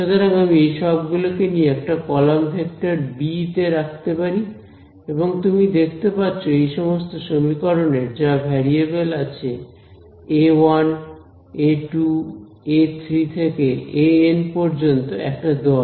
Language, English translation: Bengali, So, I can take all of these guys and put them into a column vector b right and you can see that all of these equations have the variables a 1, a 2, a 3 all the way up to a n in one string right